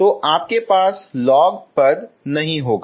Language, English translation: Hindi, So you will not have log term, okay